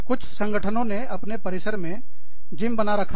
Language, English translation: Hindi, Some organizations, have gyms in their complexes